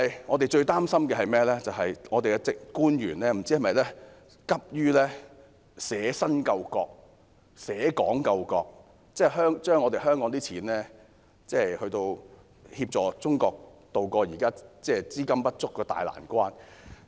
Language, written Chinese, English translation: Cantonese, 我們最擔心的是，不知本港官員會否急於捨身救國、捨港救國，用香港的金錢來協助中國渡過現時資金不足的大難關。, What worries us most is that we do not know if public officers of Hong Kong are too keen to sacrifice themselves or Hong Kong to save the country by using the money of Hong Kong to help China solve its current serious problem of capital shortage